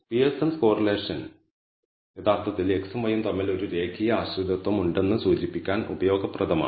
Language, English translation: Malayalam, So, this correlation, Pearson’s correlation, actually is useful to indicate there is a linear dependency between x and y